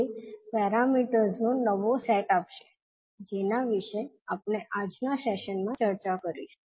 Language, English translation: Gujarati, That will give the new set of parameters which we will discuss in today’s session